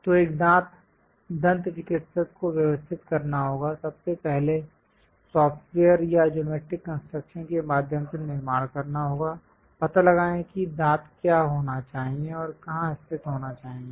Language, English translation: Hindi, So, a dentist has to arrange, first of all, construct either through software or geometric construction; locate what should be the teeth and where exactly it has to be located